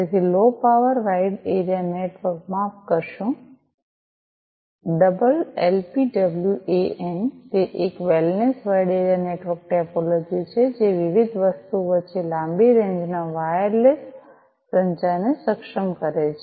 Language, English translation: Gujarati, So, low power wide area network sorry double LPWAN; it is a wellness wide area network topology that enables long range wireless communication among different things